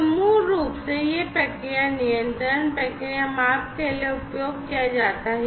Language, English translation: Hindi, So, basically it is used for process control, process measurement and so on